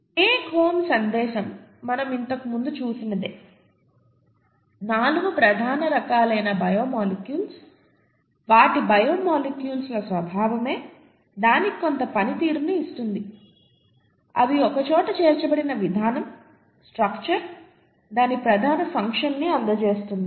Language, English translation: Telugu, The take home message is something that we saw earlier; the 4 major kinds of biomolecules, their the very nature of the biomolecules gives it a certain amount of function, the way they’re put together, the structure, gives it its major function and so on, okay